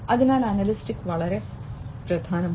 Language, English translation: Malayalam, So, analytics is very important